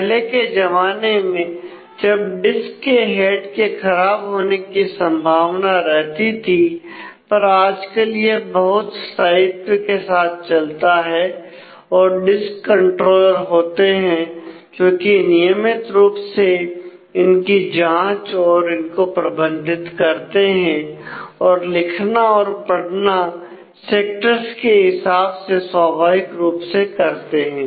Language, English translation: Hindi, So, the early generation where of disk were susceptible to head crashes, but now a days it is moved it quite stable there are disk controllers which regularly check and manage the; read write into in terms of the sectors naturally the